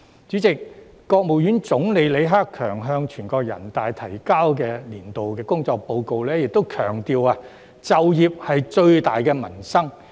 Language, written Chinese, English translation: Cantonese, 主席，國務院總理李克強向全國人大提交的工作報告亦強調"就業是最大的民生"。, President in his Report submitted to National Peoples Congress Premier LI Keqiang has stressed that employment is the biggest livelihood issue